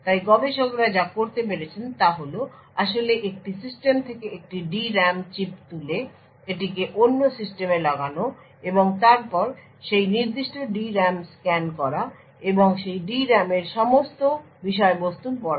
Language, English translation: Bengali, So, what researchers have been able to do is to actually pick a D RAM chip from a system plug it into another system and then scan that particular D RAM and read all the contents of that D RAM